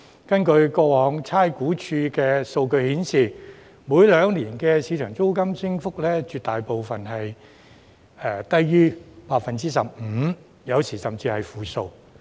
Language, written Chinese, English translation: Cantonese, 根據過往差餉物業估價署的數據顯示，每兩年的市場租金升幅，絕大部分是低於 15%， 有時候甚至是負數。, According to the data of the Rating and Valuation Department in the past most of the rental increases in the market in every two years were less than 15 % and sometimes negative rates were even recorded